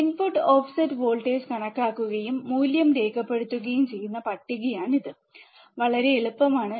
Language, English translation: Malayalam, This is the table calculate input offset voltage and record the value in table, so easy right